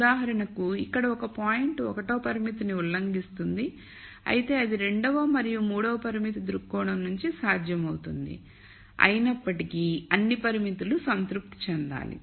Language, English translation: Telugu, For example, a point here would violate constraint 1, but it would be feasible from constraint 2 and 3 viewpoint nonetheless all the constraints have to be satisfied